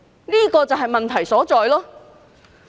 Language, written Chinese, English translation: Cantonese, 這就是問題所在。, This is rather the crux of the problem